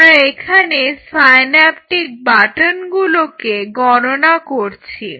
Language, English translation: Bengali, So, I am quantifying this in terms of synaptic buttons